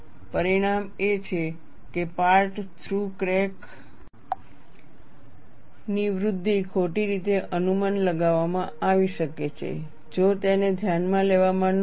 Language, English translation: Gujarati, The consequence is, growth of a part through crack could be wrongly predicted, if not accounted for